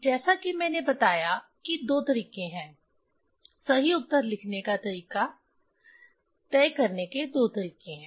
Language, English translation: Hindi, As I told that is there are two ways, there are two ways to decide how to write the correct answer